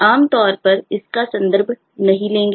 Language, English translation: Hindi, we will typically not make a references to this